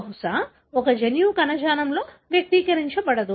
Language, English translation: Telugu, So, maybe a one gene should not be expressed in a tissue